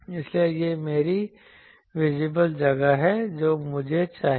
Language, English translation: Hindi, So, this is my visible space I want